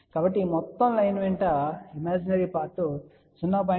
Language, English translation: Telugu, So, along this entire line the imaginary part remains 0